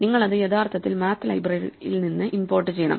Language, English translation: Malayalam, So, you actually have to import the math library